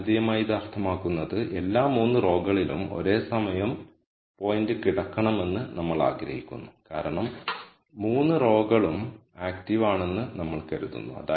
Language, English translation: Malayalam, Geometrically what this means is we want the point to lie on all the 3 lines at the same time because we have assumed all 3 lines are active concerned